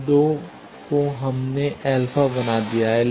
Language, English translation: Hindi, So, that is why these 2 we have made alpha